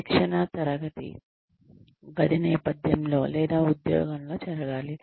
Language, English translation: Telugu, Should training take place, in a classroom setting, or on the job